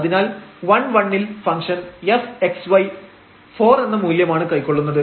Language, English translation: Malayalam, So, at 1 1 the function f x y is taking value 4 and 0 0 is taking 2 and so on